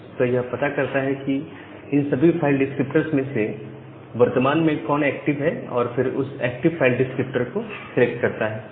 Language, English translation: Hindi, So, it finds out that among this file descriptor which one is currently active and it select that particular file descriptor